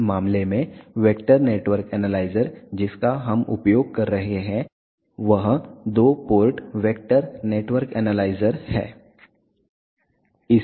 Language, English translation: Hindi, In this case vector network analyzer suing is a two port vector network analyzer